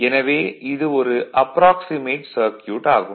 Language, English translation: Tamil, So, this is your approximate circuit